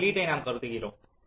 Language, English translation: Tamil, so we consider this input